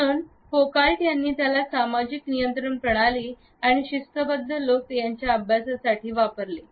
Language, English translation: Marathi, So, Foucault used to understand the systems of social control and people in a disciplinary situation